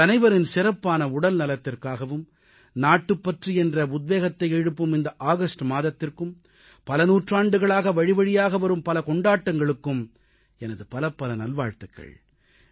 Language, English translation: Tamil, I wish all of you best wishes for good health, for this month of August imbued with the spirit of patriotism and for many festivals that have continued over centuries